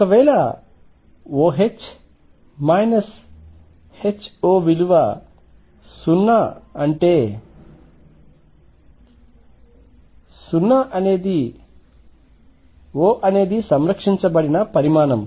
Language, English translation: Telugu, If O H minus H O is 0; that means, O would be a conserved quantity